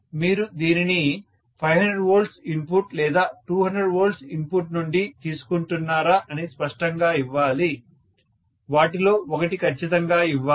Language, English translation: Telugu, It should be given clearly whether you are deriving it out of 500 volts input or 200 volts input, one of them has to be given for sure